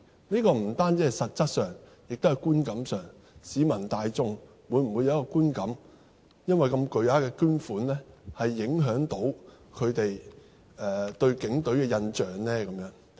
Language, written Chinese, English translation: Cantonese, 不單是實質上，亦是觀感上，市民大眾會否有一個觀感，會否因為如此巨額的捐款而影響他們對警隊的印象呢？, I am referring not only to the real impact but also the perceived one . Will the general public have such a perception and will the substantial donation affect their impression of HKPF?